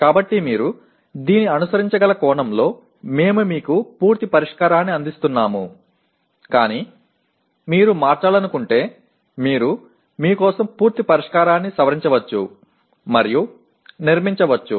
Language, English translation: Telugu, So we are presenting you a complete solution in the sense you can follow this but if you want to change you can modify and build a complete solution for yourself